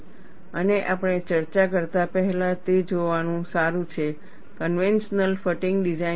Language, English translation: Gujarati, And before we discuss, it is good to look at, what is the conventional fatigue design